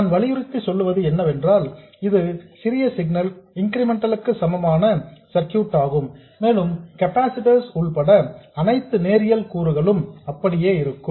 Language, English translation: Tamil, What I want to emphasize is that this is the small signal incremental equivalent circuit and all linear elements including capacitors remain exactly as they are